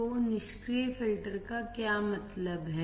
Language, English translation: Hindi, So, what do you mean by passive filters